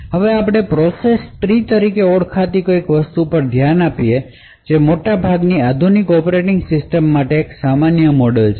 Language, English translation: Gujarati, Now we will also look at something known as the process tree, which is again a very common model for most modern day operating system